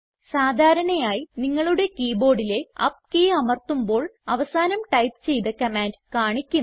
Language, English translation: Malayalam, First, normally if you press the up key on your keyboard then it will show the last command that you typed